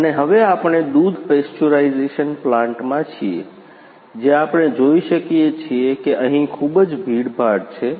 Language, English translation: Gujarati, And now we are at milk pasteurisation plants, where we can see here too much crowdy area is there